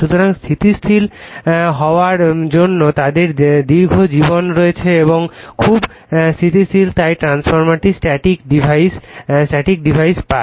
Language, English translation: Bengali, So, being static they have a long life and are very stable so, the transformer get static device